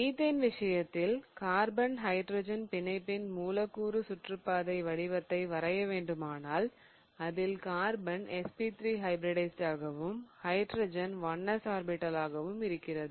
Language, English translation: Tamil, So, in the case of methane if I have to draw the molecular orbital diagram in the case of carbon hydrogen bonding, carbon is SP3 hybridized and hydrogen is 1 s orbital